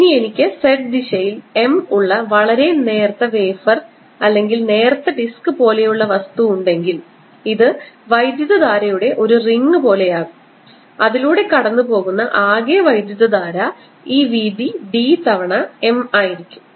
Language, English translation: Malayalam, on the other hand, if i have a very flat, thin wafer like or thin disc like thing, with m in z direction, this will be like a ring of current where the total current will be given by m times this width d